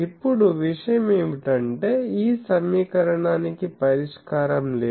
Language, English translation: Telugu, Now, the point is this equation does not have a solution